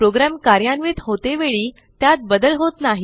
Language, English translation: Marathi, They do not change during the execution of program